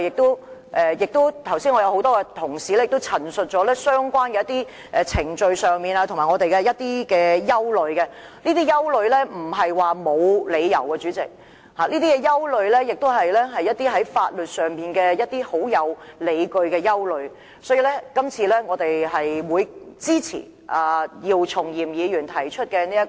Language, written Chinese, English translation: Cantonese, 剛才多位同事已經陳述過我們對相關程序等各方面的憂慮，這些憂慮並非毫無理據，相反地，這些憂慮在法律上有根有據，所以，我們會支持姚松炎議員提出的議案。, A moment ago a number of Honourable colleagues have already expressed our concerns on various aspects including the relevant procedures . Far from being groundless these concerns are well - justified legally . Hence we will support the motion moved by Dr YIU Chung - yim